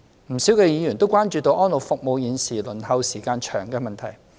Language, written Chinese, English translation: Cantonese, 不少議員也關注現時安老服務輪候時間長的問題。, Many Members have expressed concern about the long waiting time for elderly care services presently